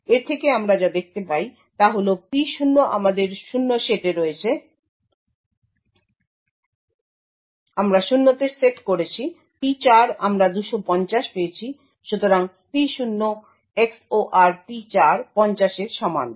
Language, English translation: Bengali, So, from this what we can see is that P0 we have set to 0, P4 we have obtained 250, so P0 XOR P4 is equal to 50